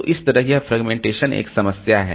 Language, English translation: Hindi, So, that way this fragmentation is a problem